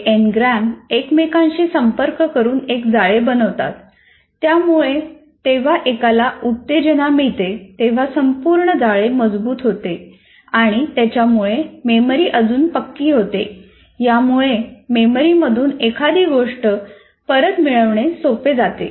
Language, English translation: Marathi, These individual n grams associate and form networks so that whenever one is triggered, the whole network together is strengthened, thereby consolidating the memory, making it more retrievable